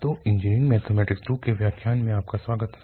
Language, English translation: Hindi, So, welcome back to lectures on Engineering Mathematics II